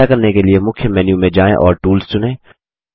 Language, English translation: Hindi, To do this: Go to the Main menu and select Tools